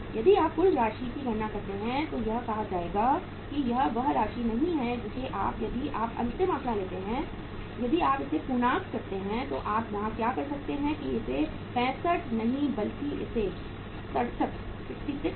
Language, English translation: Hindi, If you calculate the total amount this will be uh say this is the amount not as finally if you take the final figure if you round it off then what can you do here is that this is the not 65 but it is 66